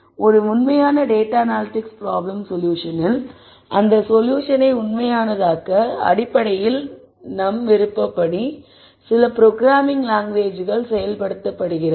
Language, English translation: Tamil, In an actual data analytics problem solution, you have to actually what we call as actualize this solution which is basically implemented in some programming language of choice